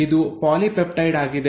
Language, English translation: Kannada, This is a polypeptide